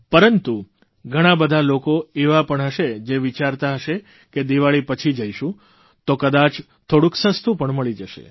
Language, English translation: Gujarati, But there are many people who think that if they go shopping after Diwali then may be they could get a good bargain